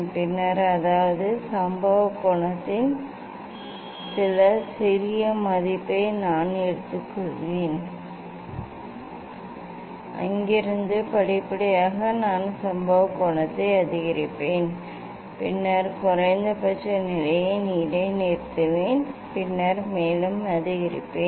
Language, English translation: Tamil, and then; that means, I will I will take the incident angle some small value of incident angle, from there step by step I will increase the incident angle then I will pause the minimum position and then further I will increase